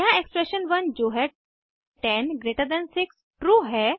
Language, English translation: Hindi, Here expression 1 that is 106 is true